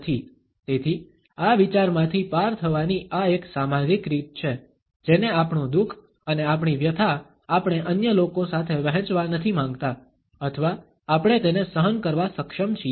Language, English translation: Gujarati, So, this is a social way of passing across this idea that we do not want to share, our sorrow and our pain with others or we are able to put up with it